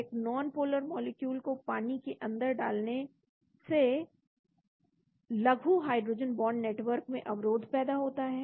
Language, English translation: Hindi, Insertion of a non polar molecule in water causes an interruption of the loose hydrogen bond network